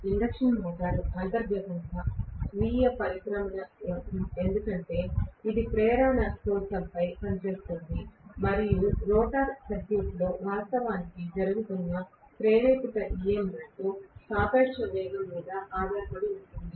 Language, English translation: Telugu, Induction motor is inherently self starting because it works on induction principle and the induced EMF that is happening actually in the rotor circuit is dependent upon the relative velocity